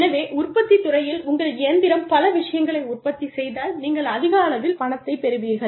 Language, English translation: Tamil, So, in the manufacturing sector, you will say, okay, if your machine produces, these many things, this is the amount of money, you will get